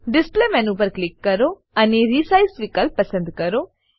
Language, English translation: Gujarati, Click on Display menu and select Resize option